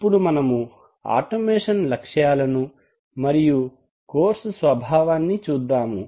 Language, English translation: Telugu, Now let us look at the objective and the nature of the course